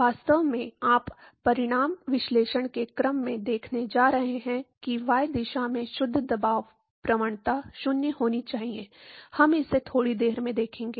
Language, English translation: Hindi, In fact, you going to see from order of magnitude analysis that the net pressure gradient in the y direction has to be 0, we will see that in a short while